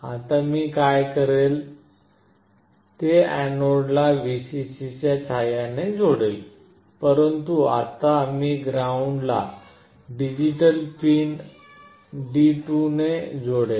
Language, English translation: Marathi, Now what I will do is that, I will connect the anode with Vcc, but now I will connect the ground with digital pin D2